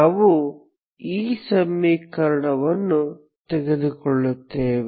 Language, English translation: Kannada, So we will just take the equation